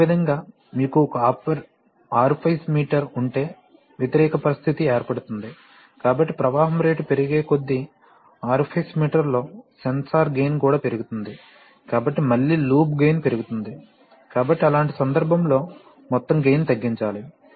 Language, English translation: Telugu, Similarly at the, and an opposite situation can occur, if you have an orifice meter, so in an orifice meter as the flow rate increases, the sensor gain also increases, so again the loop gain increases, so in such a case the, one has to have the overall gain reducing, right